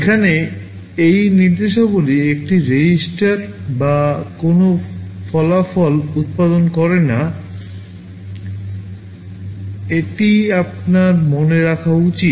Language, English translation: Bengali, Here these instructions do not produce any result in a register; this is what you should remember